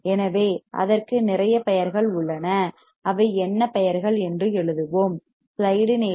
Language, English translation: Tamil, So, it has lot of names what are the names let us write down